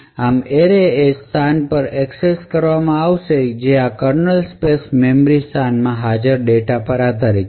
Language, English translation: Gujarati, Thus, the array would be accessed at a location which is dependent on the data which is present in this kernel space memory location